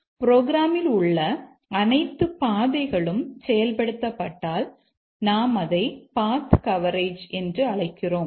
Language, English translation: Tamil, All the paths in the program are executed that we call as path coverage